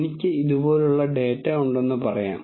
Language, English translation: Malayalam, So, let us say I have data like this